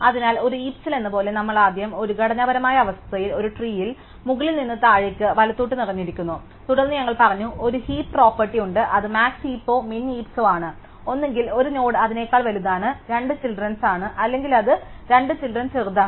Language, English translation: Malayalam, So, remember like in a heap we first at as structural condition that at a tree is filled top to bottom left to right and then we said, there is a heap property which says max heap or min heap, either a node is bigger than its 2 children or its smaller than its 2 children